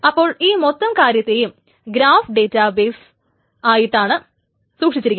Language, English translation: Malayalam, So this entire thing is stored like a graph database